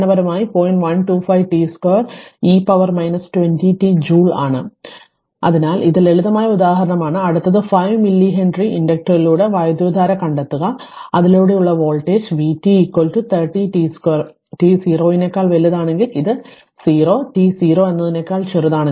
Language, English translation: Malayalam, 125 t square e to the power minus 20 t joule right, so this is simple example next 1 is find the current through a 5 milli Henry inductor if the voltage across it is v t is equal to 30 t square for t greater than 0 and it is 0 for t less than 0 this is given right